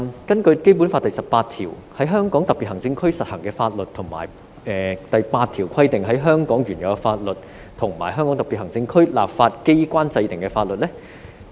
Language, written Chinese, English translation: Cantonese, 根據《基本法》第十八條："在香港特別行政區實行的法律為本法以及本法第八條規定的香港原有法律和香港特別行政區立法機關制定的法律。, According to Article 18 of the Basic Law [t]he laws in force in the Hong Kong Special Administrative Region shall be this Law the laws previously in force in Hong Kong as provided for in Article 8 of this Law and the laws enacted by the legislature of the Region